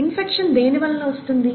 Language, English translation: Telugu, What causes infection